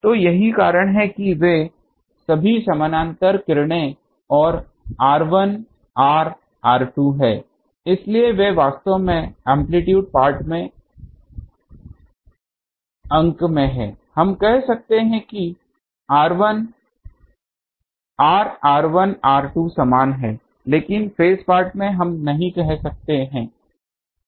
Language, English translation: Hindi, So, that is why they are all parallel rays and r 1, r, r 2 so, they are actually in the numeral in the amplitude part we can say that r, r 1, r 2 similar, but in the phase part we cannot do